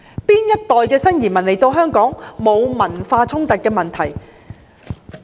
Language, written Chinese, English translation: Cantonese, 哪一代新移民來港後沒有產生文化衝突的問題？, Which generation of new immigrants did not have the problem of cultural conflicts upon arrival in Hong Kong?